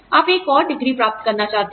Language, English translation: Hindi, You want to get another degree